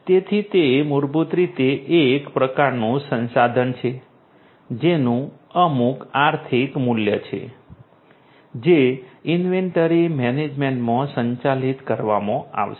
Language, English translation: Gujarati, So, it is basically some kind of resource having some economic value that is going to be managed in inventory management